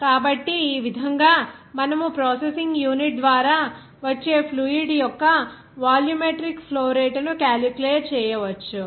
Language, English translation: Telugu, So, in this way, you can calculate the volumetric flow rate of the fluid whenever it will be coming through the processing unit